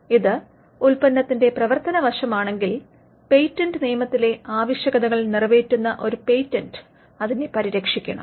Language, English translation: Malayalam, If it is the functional aspect of the product, then it should be protected by a patent provided it satisfies the requirements in patent law